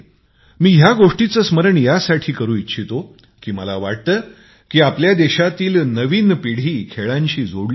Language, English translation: Marathi, I am reminding you of this because I want the younger generation of our country to take part in sports